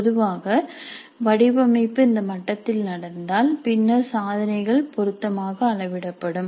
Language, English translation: Tamil, So, typically the design happens at this level and then the attainments are scaled down suitably